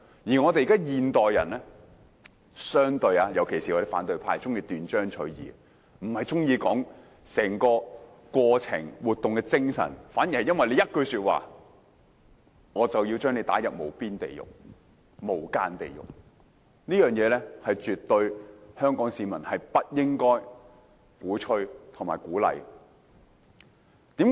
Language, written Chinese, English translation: Cantonese, 相對上，現代人特別是反對派卻喜歡斷章取義，不探求整個過程和活動的精神，反而會因為一句說話便要把人家推入無間地獄，這是香港市民所絕不應鼓吹和鼓勵。, Comparatively speaking modern people especially those from the opposition camp love looking at something out of context and do not seek the spirit of the whole process and activity . Instead they will push others into an infernal underworld because of a remark . This is something Hong Kong people should never advocate nor encourage